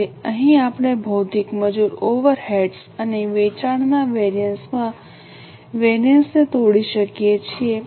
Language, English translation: Gujarati, So, here we can break down the variance into material, labour, overades and sales variances